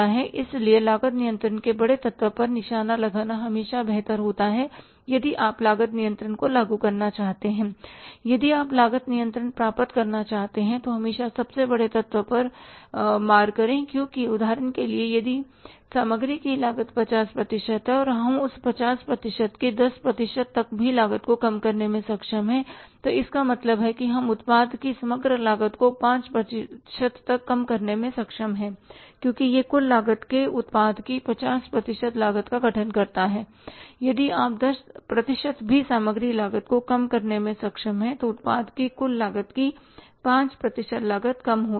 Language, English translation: Hindi, If you want to achieve the cost control then always hit at the biggest element because for example if the material cost is 50 percent and if we are able to reduce the material cost even by 10 percent of that 50 percent it means we are able to reduce the overall cost of the product by 5% because it constitutes the 50% cost of the product of the total cost of the product and if we are able to reduce the material cost even by 10% then 5% cost of the product overall cost of the product will be reduced so you can understand how understand how much big difference is there